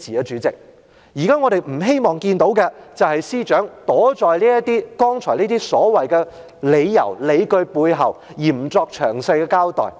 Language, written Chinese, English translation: Cantonese, 主席，現在我們不希望看到的，就是司長躲在剛才這些所謂的"理由、理據"背後，而不作詳細交代。, President what we do not want to see now is that the Secretary gives no detailed account of the decision hiding behind these so - called reasons and justifications put forward just now